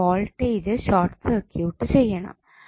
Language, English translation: Malayalam, We have to short circuit the voltage so what we will get